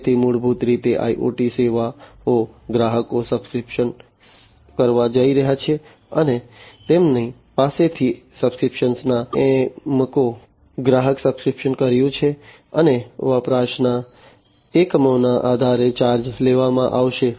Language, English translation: Gujarati, So, basically you know IoT services, the customers are going to subscribe to and they are going to be charged based on the units of subscription, that the customer has subscribed to and the units of usage